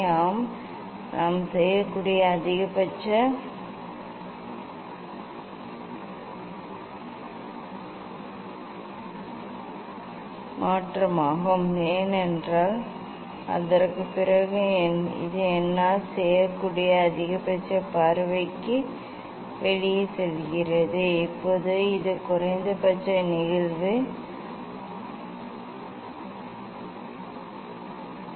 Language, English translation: Tamil, Yes, that is the maximum change I can do because after that it is going out of the view maximum up to this I could do now this is the minimum incident angle ah